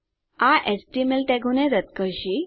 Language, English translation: Gujarati, This will strip HTML tags